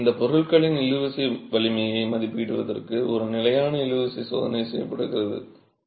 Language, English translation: Tamil, So, a standard tension test is done to estimate the tensile strength of these materials